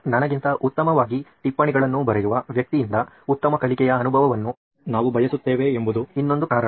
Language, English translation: Kannada, Another reason could be that I want a better learning experience from someone who has written notes better than me